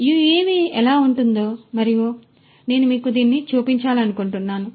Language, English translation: Telugu, So, this is how an UAV looks like and I just wanted to show you this you know